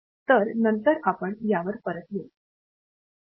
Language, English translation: Marathi, So, we will come back to this again later